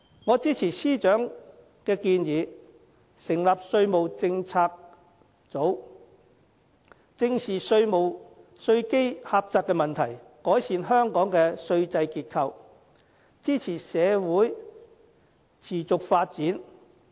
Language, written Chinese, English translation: Cantonese, 我支持司長的建議，成立稅務政策組，正視稅基狹窄問題，改善香港稅制結構，支持社會持續發展。, I support the Financial Secretarys plan to set up a tax policy unit to face squarely the problem of our narrow tax base and improve the structure of our tax regime thereby supporting the sustainable development of society